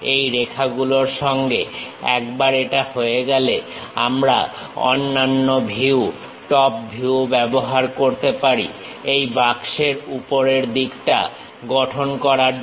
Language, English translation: Bengali, Along with these lines, once it is done we can use the other view top view to construct top side of this box